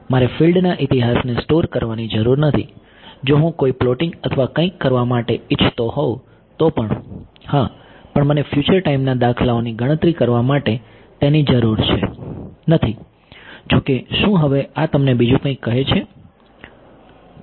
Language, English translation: Gujarati, I do not need to store the history of fields I just need even if I wanted to for some plotting or something then yes, but I do not need it to calculate future time instance right; however, does this now tell you something else